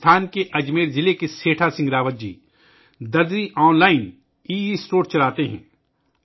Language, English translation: Urdu, Setha Singh Rawat ji of Ajmer district of Rajasthan runs 'Darzi Online', an'Estore'